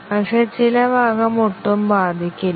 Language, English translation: Malayalam, But, some part is not affected at all